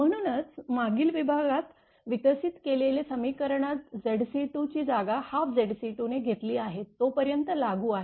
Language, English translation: Marathi, That is why the equation developed in the previous section are applicable as long as Z c 2 is replaced by half Z c 2